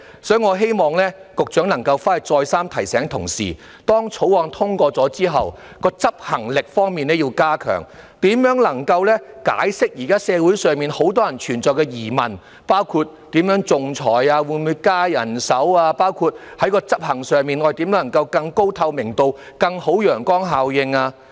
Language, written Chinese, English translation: Cantonese, 所以，我希望局長能夠再三提醒同事，要加強《條例草案》通過後的執行能力，能夠釋除現時社會上很多人的疑問，包括如何仲裁、會否增加人手，以及執行上如何能夠做到更高透明度和更好的陽光效應。, Therefore I hope the Secretary can repeatedly remind his colleagues that they have to strengthen their enforcement capability upon its enactment so as to allay the worries in society including how the arbitration will be conducted whether the manpower will be increased or not and how it can be enforced in a more transparent manner with a better sunlight effect